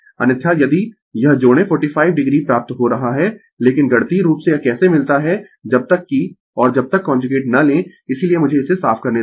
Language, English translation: Hindi, Otherwise, if you add this we are getting 45 degree, but mathematically how we get it unless and until we take the conjugate that is why let me cleat it